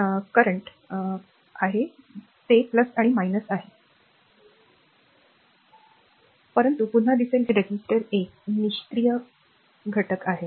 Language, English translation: Marathi, So, resistance your resistance is a later we will see that resistor earlier we have seen, but again we will see that a resistor is a passive element